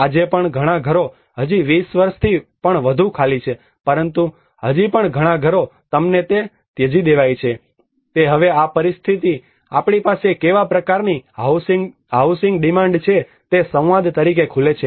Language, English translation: Gujarati, Even today many houses are still empty more than 20 years now but still many houses you find they are abandoned, it is now this situation opens as a dialogue of what kind of a housing demand we have